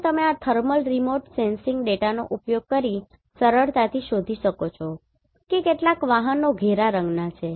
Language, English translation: Gujarati, So here you can easily find by using this thermal remote sensing data that some of the vehicles are of dark colour